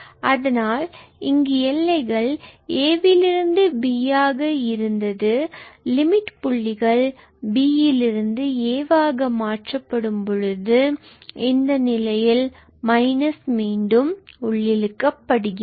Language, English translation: Tamil, So, here we had a to b if we switch the limit points from a to b to b to a and in that case this minus will get reabsorbed